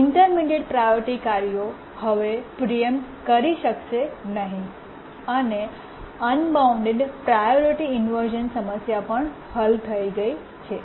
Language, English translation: Gujarati, The intermediate priority tasks can no longer preempt it and the unbounded priority problem is solved